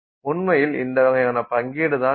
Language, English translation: Tamil, So, you would actually have this kind of a distribution